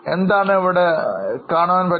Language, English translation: Malayalam, So, what do you see here